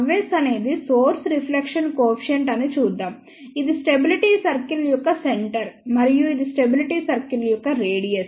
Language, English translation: Telugu, Let us see gamma s is the source reflection coefficient, this is the centre of the stability circle and this is the radius of the stability circle